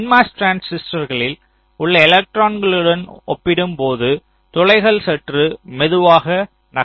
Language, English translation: Tamil, that means the holes move slightly slower as compared to the electrons in the n mos transistors